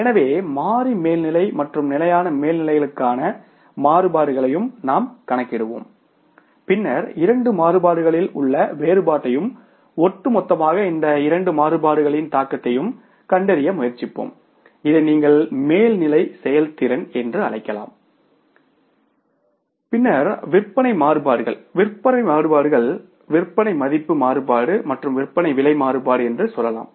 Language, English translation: Tamil, So, we will calculate the variances for the variable overheads also and the fixed overheads also and then we will try to find out the difference in the two variances and the impact of these two variances on the overall say you can call it as the performance of the overheads and then the sales variances